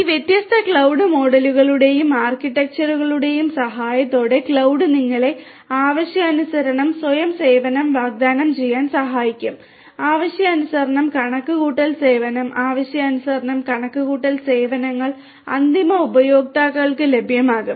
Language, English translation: Malayalam, Cloud with the help of all of these different cloud models and architectures will help you to offer on demand self service, on demand you know service of computation, computation services on demand will be made available to the end users